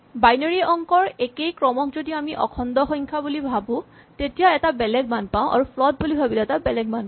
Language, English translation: Assamese, The same sequence of binary digits if we think of it as an int has a different value and if we think of it as a float has a different value